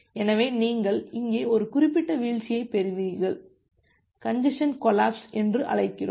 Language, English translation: Tamil, So, you will get a certain drop here, we call that the congestion collapse